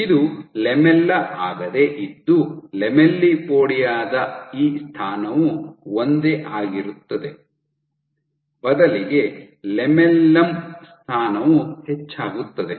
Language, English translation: Kannada, So, it is not that the lamella this position of the lamellipodia remains the same rather the position of the lamellum increases